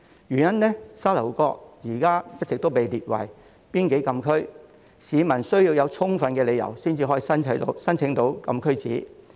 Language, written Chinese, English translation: Cantonese, 由於沙頭角現在一直被列為邊境禁區，市民需要有充分理由才可以申請禁區紙。, Since Sha Tau Kok has all along been designated as a closed area members of the public must have sufficient grounds before applying for a closed area permit CAP